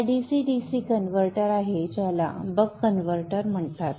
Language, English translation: Marathi, This is a DC DC converter called the buck converter